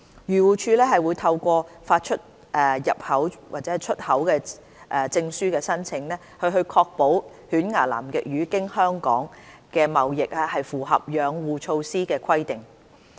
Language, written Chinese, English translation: Cantonese, 漁護署會透過發出入口/出口證書的申請，確保犬牙南極魚經香港的貿易符合養護措施的規定。, Through applications for the issuance of importexport documents AFCD will ensure that toothfish trading through Hong Kong complies with the Conservation Measures